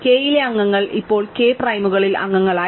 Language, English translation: Malayalam, So, members of k now become members of k primes